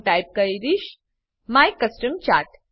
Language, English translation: Gujarati, I will type my custom chart